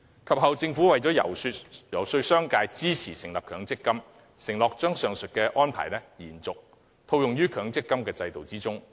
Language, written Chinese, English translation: Cantonese, 及後，政府遊說商界支持成立強積金時，承諾將上述安排沿用於強積金制度。, Subsequently when lobbying the business sector to support the establishment of MPF the Government undertook that the aforesaid arrangement would continue under the MPF System